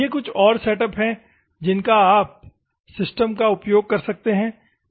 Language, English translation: Hindi, These are another setups where you can use the systems